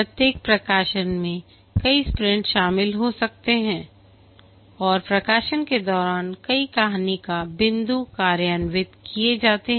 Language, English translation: Hindi, Each release might consist of several sprints and during a release several story points are implemented